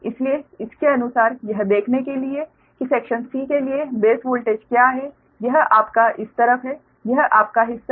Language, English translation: Hindi, so accordingly you have to see what is the base voltage for the section c that is there, that is your, this side, right